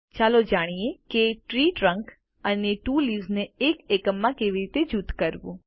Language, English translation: Gujarati, Let learn how to group the tree trunk and two leavesinto a single unit